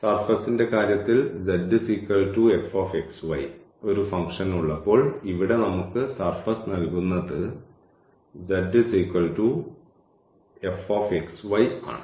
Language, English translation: Malayalam, In case of the surface when we have a function z is equal to f x y so, our here the surface is given by z is equal to f x y